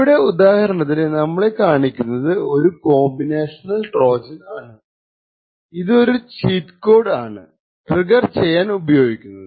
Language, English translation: Malayalam, So, for example over here we have shown a combinational Trojan this combinational Trojan uses a cheat code to trigger